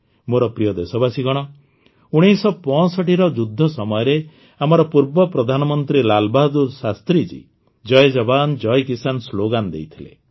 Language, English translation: Odia, My dear countrymen, during the 1965 war, our former Prime Minister Lal Bahadur Shastri had given the slogan of Jai Jawan, Jai Kisan